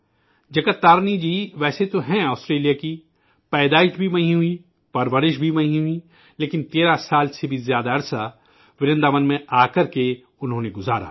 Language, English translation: Urdu, Jagat Tarini ji is actually an Australian…born and brought up there, but she came to Vrindavan and spent more than 13 years here